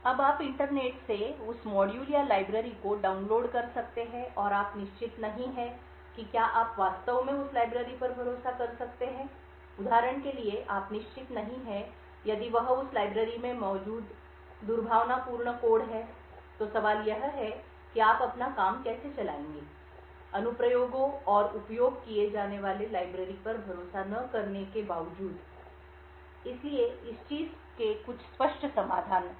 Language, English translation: Hindi, Now you may download that module or library from the internet and you are not certain whether you can actually trust that library you are not certain for example if that is a malicious code present in that library, so the question comes is how would you run your application in spite of not trusting the modules and the libraries that the applications uses, so there are some obvious solutions for this thing